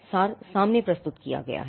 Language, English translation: Hindi, The abstract is presented up front